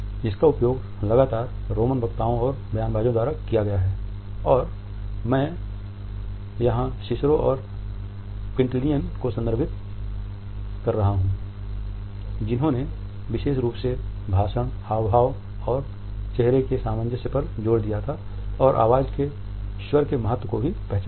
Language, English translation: Hindi, It has been used continuously by roman orators and rhetoricians and I particularly referred to Cicero and Quintillion in particular who had emphasized on the harmony of a speech gesture and face and also recognize the significance of the tone of the voice